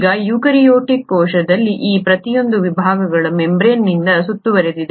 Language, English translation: Kannada, Now each of these sections in a eukaryotic cell is surrounded by the membraned itself